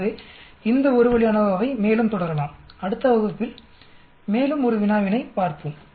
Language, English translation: Tamil, So let us continue with the more of this 1 way ANOVA and we look at 1 more problem in the next class